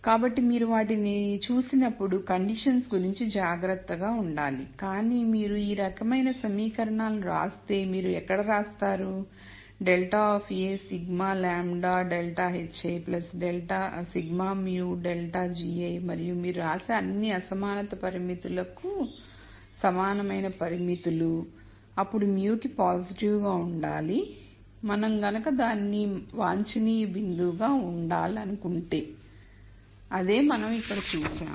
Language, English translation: Telugu, So, you have to be careful about the conditions when you look at those, but if you stick to this type of writing the equations, where you write minus grad of a sigma lambda grad h i plus sigma mu grad g i and if you write all the constraints as less than equal to inequality constraints, then mus have to be positive for the point to be an optimum point which is what we saw here